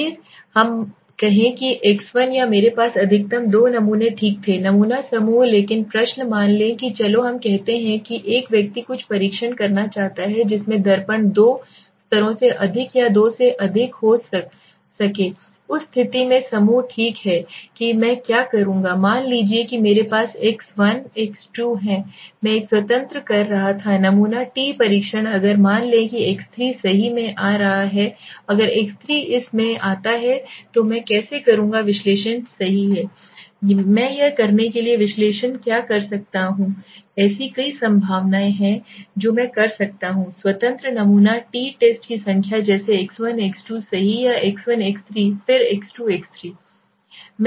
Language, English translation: Hindi, Let us say x1 or I had maximum two samples okay, sample groups but the question is suppose let us say a person wants to test something in which mirror more than two levels or more than two groups right so in that case what I will do suppose I have x1 x2 I was doing a independent sample t test if suppose there is an x3 coming in right if the x3 comes into this how will I do the analysis right what will I do the analysis to do this there are several possibilities I can may be do number of independent sample t test like x1 x2 right or x1 x3 then x2 x3